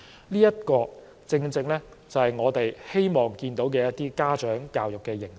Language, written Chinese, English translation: Cantonese, 這些正是我們希望看到的家長教育形式。, This is the kind of parent education we wish to see